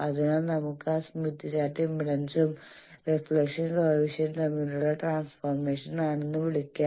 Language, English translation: Malayalam, So we can call that smith chart is also a transformation between impedance and reflection coefficient